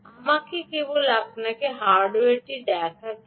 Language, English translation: Bengali, ok, let me just show you the hardware